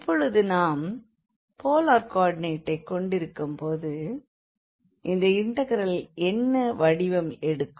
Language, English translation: Tamil, So, now, how the integral will take the form when we have this polar coordinates